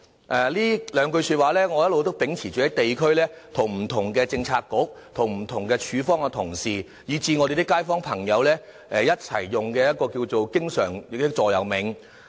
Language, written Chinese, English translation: Cantonese, 我一直秉持着這幾句說話，在地區與不同的政策局和政府部門的同事，以至我們的街坊朋友，作為我經常用的座右銘。, Secretary I hope that you can do so after the passage of the amendments . This is the principle I keep by heart and the motto I often refer to when I deal with various bureaux or government departments and communicate with residents during district work